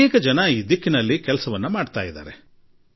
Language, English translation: Kannada, A lot of people have worked in this direction